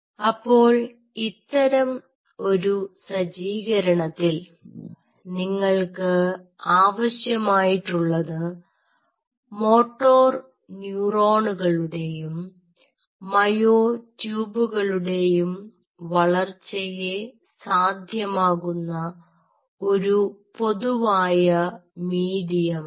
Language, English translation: Malayalam, so what you need it in such a setup is you needed a common medium which will allow growth of both this moto neuron as well as the myotube